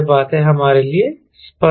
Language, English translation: Hindi, right, this things are clear to us